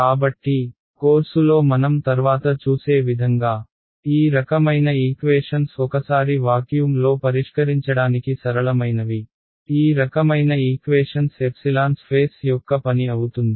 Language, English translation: Telugu, So, as we will see later on in the course, these kinds of equations the once in vacuum are simpler to solve then these kinds of equations where epsilon is the function of space